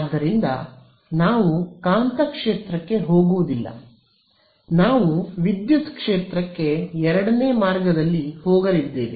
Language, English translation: Kannada, So, we are not going to go to the magnetic field we are going to go the second route to the electric field ok